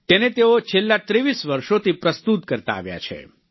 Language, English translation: Gujarati, ' He has been presenting it for the last 23 years